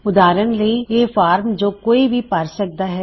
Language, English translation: Punjabi, For example a form someone can fill in